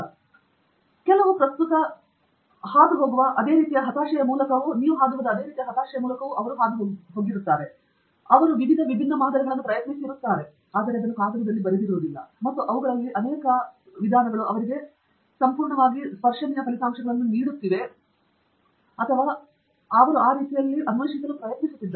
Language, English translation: Kannada, So, they would have also gone through the same kind of frustration that you are currently going through, they are trying out various different samples, and many of them are, you know, completely giving them tangential results or not at all showing any kind of relevance to that particular parameter that they are trying to explore